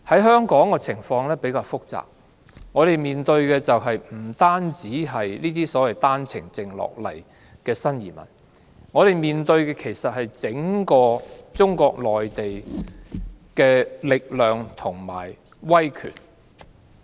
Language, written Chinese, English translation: Cantonese, 香港的情況比較複雜，我們面對的不單是經單程證來港的新移民，而是整個中國內地的力量及威權。, The situation in Hong Kong is rather complicated . We not only have to deal with the OWP entrants but also the power and autocracy coming from the Mainland